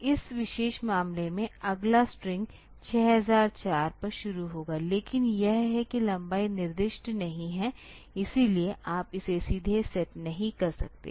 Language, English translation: Hindi, So, in this particular case the next string will start at 6004, but it is that the length is not specified; so, you cannot set it directly